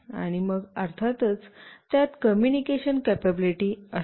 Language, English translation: Marathi, And then of course, it will have communication capability